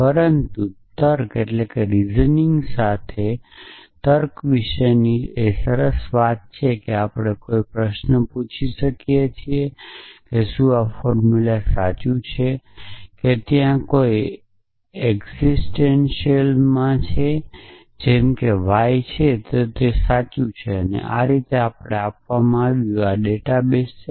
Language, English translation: Gujarati, But the nice thing about reasoning with logic is that we can ask a question like is this formula true that it does there exist the y such that mortal y is true this is what is given to us this is a database